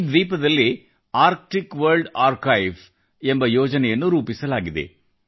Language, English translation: Kannada, A project,Arctic World Archive has been set upon this island